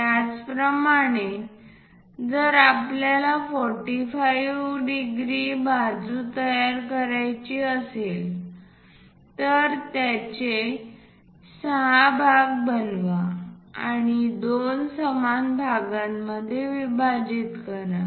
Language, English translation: Marathi, Similarly, if we would like to construct the other side 45 degrees join them make it the part 6 and divide this into two equal parts